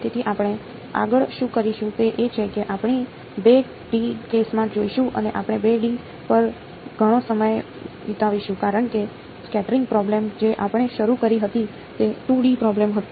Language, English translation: Gujarati, Computational Electromagnetics So, what we will do next is we will go to a 2 D case and we will spend a lot of time on 2 D because the scattering problem which we had started with was a 2 D problem